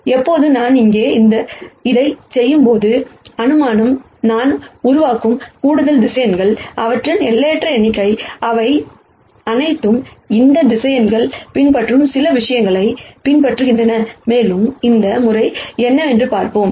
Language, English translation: Tamil, Now when I do this here, the assumption is the extra vectors that I keep generating, the infinite number of them, all follow certain pattern that these vectors are also following and we will see what that pattern is